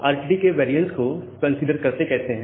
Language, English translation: Hindi, Now how we consider the variance of RTT